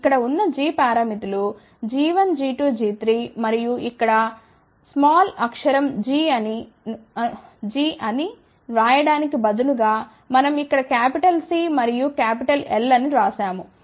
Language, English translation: Telugu, These g parameters which are here g 1 g 2 g 3 and you can see that instead of writing here small gs we have written here capital C and capital L